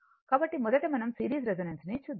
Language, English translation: Telugu, So, first we will see the series resonance